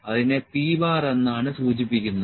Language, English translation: Malayalam, So, this was the p chart